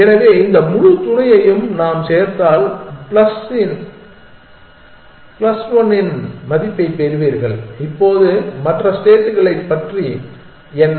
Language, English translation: Tamil, So, if we add this entire sub you will get a value of plus one now what about the other states